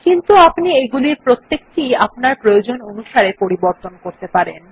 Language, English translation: Bengali, But one can change any of these to suit our requirement